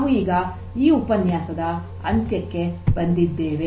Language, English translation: Kannada, With this we come to an end of this particular lecture